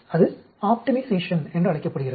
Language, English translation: Tamil, That is called optimization